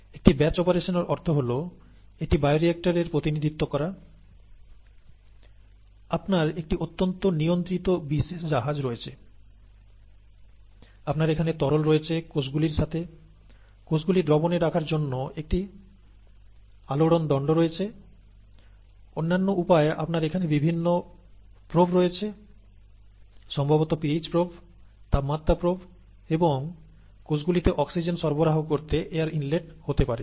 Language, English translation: Bengali, A batch operation just means that, this is the representation of a bioreactor, you have a vessel, you have a highly controlled vessel, specialized vessel, you have a broth here with cells, you have a stirrer to keep the cells in suspension, and for other means, you have various probes here, probably the hbo probe, temperature probe and may be an air inlet here to provide oxygen to the cells